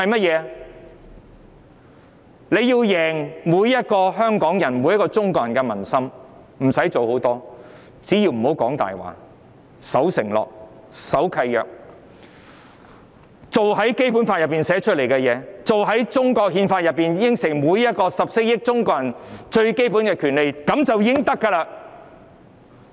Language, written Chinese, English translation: Cantonese, 若中央想贏盡香港人和中國人的民心，不用做太多事，只要別說謊、守承諾、守契約，落實《基本法》訂定的條文，落實中華人民共和國憲法上承諾給予14億中國人最基本的權利，便會贏得民心。, If the Central Authorities want to win the hearts of Hongkongers and Chinese they do not have to do much . If they can merely stop telling lies fulfil their promises and agreements implement provisions in the Basic Law and grant the basic rights to the 1.4 billion Chinese citizens as promised in the Constitution of the Peoples Republic of China they will win the hearts of the people